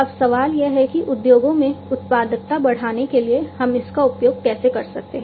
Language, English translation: Hindi, Now, the question is that how we can use it for increasing the productivity in the industries